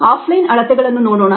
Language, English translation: Kannada, let us look at off line measurements